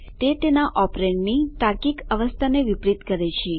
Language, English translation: Gujarati, It inverses the logical state of its operand